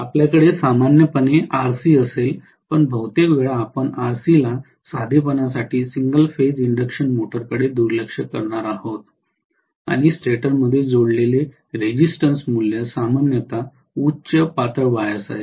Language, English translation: Marathi, We will have normally RC also but most of the times we are going to neglect RC in the case of single phase induction motor for the sake of simplicity and also because the resistance value that is connected in the stator is generally high, thin wires